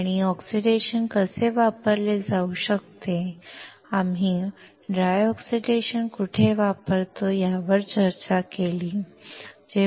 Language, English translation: Marathi, We discussed how oxidation can be used and where we use dry oxidation